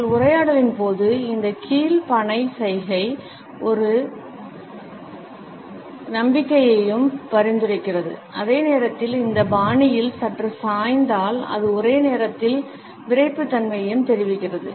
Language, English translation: Tamil, During our dialogue, this down palm gesture also suggest a confidence and at the same time if it is slightly tilted in this fashion it also conveys a simultaneous rigidity